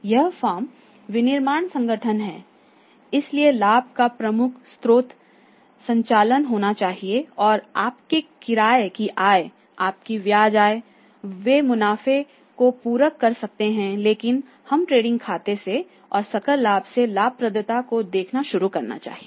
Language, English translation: Hindi, This firm is the manufacturing organisation so major source of the profit must be the operations and your rent in comes your interest incomes they can supplement the profits but we should start the say looking at the profitability from the trading account and from the gross profit